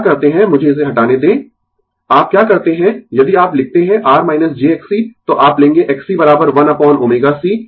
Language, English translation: Hindi, What we do let me delete it, what you do if you write R minus j X c, then you will take X c is equal to 1 upon omega c right